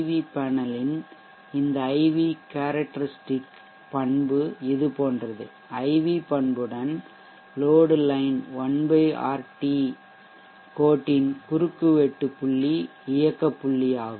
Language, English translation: Tamil, Now this IV characteristic of this particular PV panel let us say is like this and the point of intersection of the load line 1/RT line with the IV characteristic is the operating point